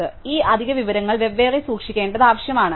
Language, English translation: Malayalam, So, we need this extra information to be kept separately, right